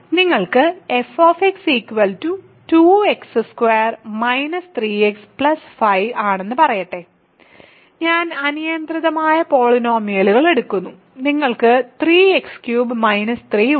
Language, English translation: Malayalam, So, let us you have x f is 2 x square minus 3 x plus 5, I am just taking arbitrary polynomials and you have 3 x cubed minus 3 let us say ok